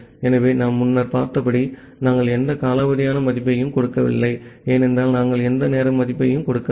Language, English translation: Tamil, So, as we have seen earlier that there we are not giving any timeout value, because we are not giving any timeout value